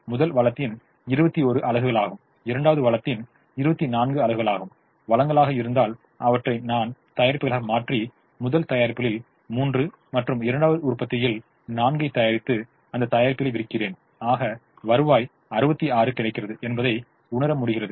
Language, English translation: Tamil, it is also to say that if i have twenty one units of the first resource and twenty four units of the second resource as resources and then i transform them into products and make three of the first product and four of the second product and sell the products to realize a revenue of sixty six